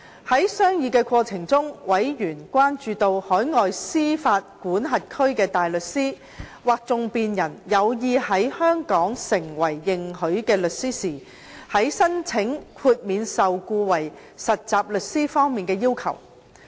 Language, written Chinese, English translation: Cantonese, 在商議過程中，委員關注到，海外司法管轄區的大律師或訟辯人有意在香港成為認許的律師時，在申請豁免受僱為實習律師方面的要求。, During the deliberation of the Subcommittee members were concerned about the requirements a barrister or advocate in overseas jurisdictions wishing to become a solicitor in Hong Kong should meet when applying for exemption from employment as a trainee solicitor